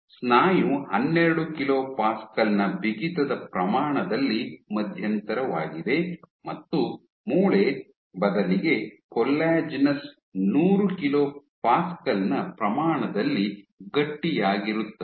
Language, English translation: Kannada, Muscle is intermediate stiffness order 12 Kilo Pascal, and bone rather Collagenous bone is stiff order 100 Kilo Pascal